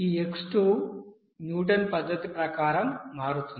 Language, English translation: Telugu, This x2 will be becoming as per this Newton’s method